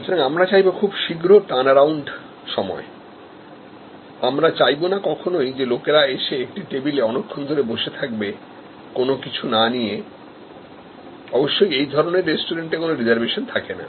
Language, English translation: Bengali, So, you want to maximize the turnaround time, we do not want people to sit at a table for long time without consumption; obviously, in such restaurants, there will be no reservation